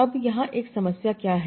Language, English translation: Hindi, Now what is one problem here